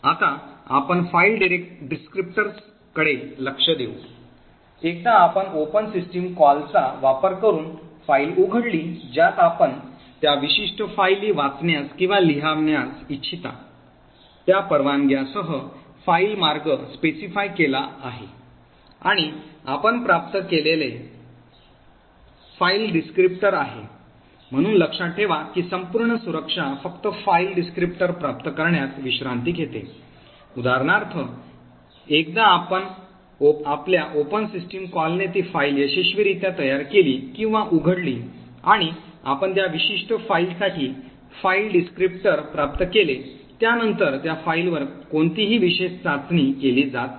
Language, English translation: Marathi, Will now look at file descriptors, once you open a file using the open system call in which is specify a file path along with permissions that you want to read or write or append to that particular file and what you obtain is a file descriptor, so note that the entire security rest in just obtaining the file descriptor, so for example once your open system call has successfully created or open that file and you have obtained the file descriptor for that particular file after that there are no special test that are done on that file